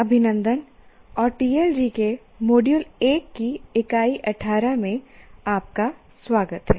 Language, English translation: Hindi, Greetings and welcome to Unit 18 of Module 1 of TAL G